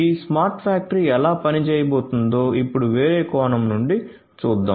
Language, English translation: Telugu, Let us now look at from a different perspective how this smart factory is going to work